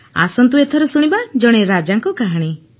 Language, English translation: Odia, "Come, let us hear the story of a king